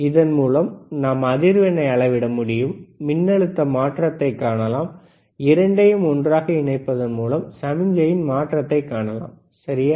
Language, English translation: Tamil, And we can measure the frequency, we can see the change in voltage, we can see the change in signal by connecting both the things together, all right